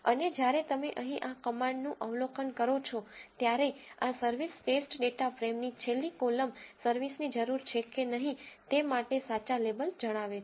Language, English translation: Gujarati, And when you observe this command here, this is the last column of the service test data frame which says the true labels of whether the service is needed or not